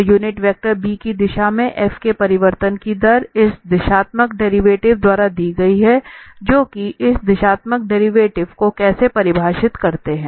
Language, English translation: Hindi, So, the rate of change of f in the direction of a unit vector b is given by this directional derivative that is precisely how we define this directional derivative